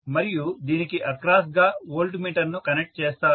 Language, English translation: Telugu, So, I am going to connect these two together and connect the voltmeter across this